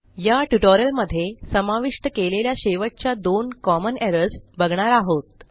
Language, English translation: Marathi, Right now I am onto the last two common errors that I have included